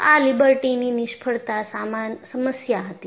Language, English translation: Gujarati, So, this was the problem with Liberty failure